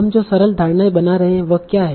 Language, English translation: Hindi, Now, so what is the simplifying assumption that we make